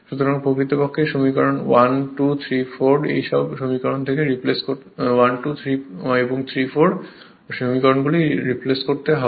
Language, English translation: Bengali, So, if you from equation 1, 2 and 3, 4 you substitute all these things